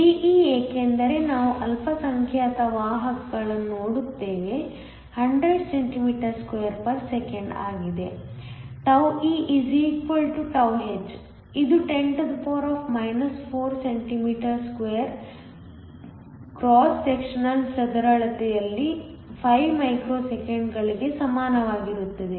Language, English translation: Kannada, De because we are look at minority carriers is 100 cm2 s 1; τe = τh which is equal to 5 microseconds in the cross sectional area is 10 4cm 2